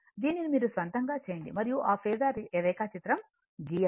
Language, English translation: Telugu, This one you do it of your own right and if you given that draw phasor diagram